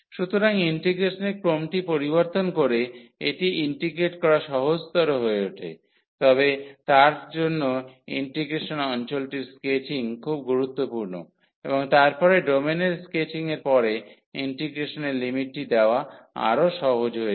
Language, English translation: Bengali, So, by changing the order of integration it becomes easier to integrate, but for that the sketching of the region of integration is very important and then putting the limit of the integration after sketching the domain it becomes much easier